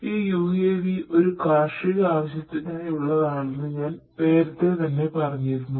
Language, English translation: Malayalam, So, I told you that we use these UAVs for agricultural purposes